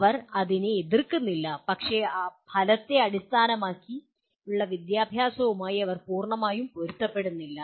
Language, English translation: Malayalam, They are not in opposition to this but they are not perfectly in alignment with outcome based education